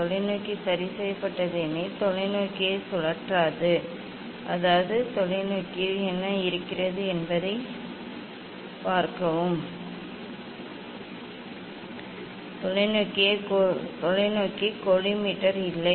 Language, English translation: Tamil, telescope is fixed; telescope will not rotate the telescope so; that means, in telescope what is there sorry not telescope collimator